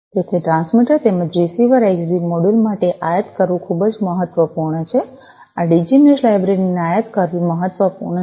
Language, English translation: Gujarati, So, it is very important to imp import for the transmitter as well as the receiver Xbee modules, it is imp it is important to import this Digi Mesh library